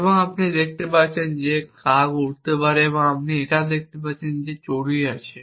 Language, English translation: Bengali, And you see that the crow can fly and you see that the sparrow and you can see that sparrow can fly